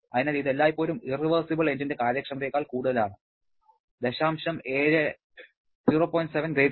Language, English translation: Malayalam, So, this is always higher than the efficiency of any irreversibility engine 0